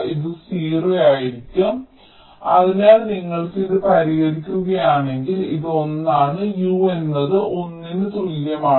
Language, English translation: Malayalam, so if you solve, you will be getting this is one log u equal to one